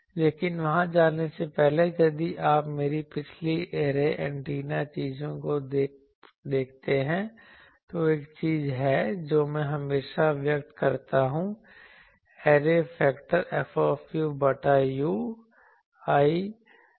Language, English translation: Hindi, But, before going there, I will see if you see my earlier array antenna things also, there is one thing that I always express the array factor as F u by u